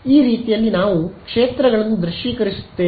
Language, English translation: Kannada, So, that is how we visualize the fields fine